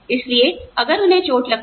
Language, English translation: Hindi, So, if they get hurt